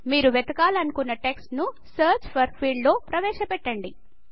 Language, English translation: Telugu, Enter the text that you want to search for in the Search for field